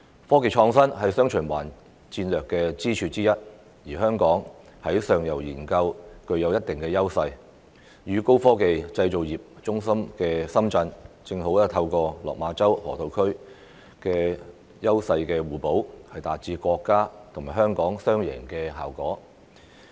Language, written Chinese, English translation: Cantonese, 科技創新是"雙循環"戰略的支柱之一，而香港在上游研究具有一定的優勢，與高科技製造業中心的深圳，正好透過落馬洲河套區的優勢互補，達致國家及香港"雙贏"的效果。, Given that technology and innovation are one of the mainstays of the dual circulation strategy and Hong Kong possesses certain edges in upstream research we can complement Shenzhens strengths as a high - tech manufacturing hub through the Lok Ma Chau Loop and create a win - win situation for the country and Hong Kong